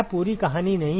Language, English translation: Hindi, That is not that is not the complete story